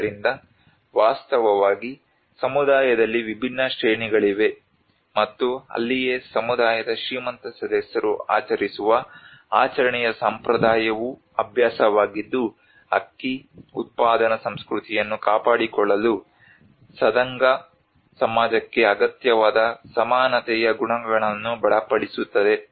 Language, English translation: Kannada, So, in fact, there are different hierarchies within the community, and that is where the tradition of the ritual feasting by wealthy members of the community which is a practice reinforces the egalitarian qualities needed by Sadanga society to maintain the rice production culture